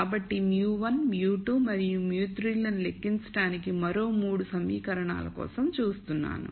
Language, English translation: Telugu, So, I am looking for another 3 equations to compute mu 1, mu 2, and mu 3